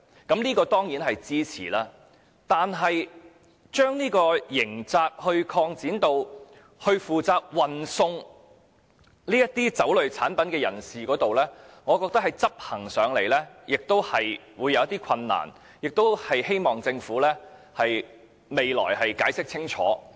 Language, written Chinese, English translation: Cantonese, 我當然支持這點，但把刑責擴展至負責運送酒類產品人士上，我覺得在執行上會有困難，希望政府日後能解釋清楚。, I of course support this point because I think the extension of the scope of criminal liability to cover deliverers of liquor products is actually difficult to implement . I hope the Government can clearly explain how this can be enforced later